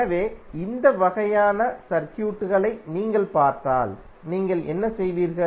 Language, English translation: Tamil, So, if you see these kind of circuits what you will do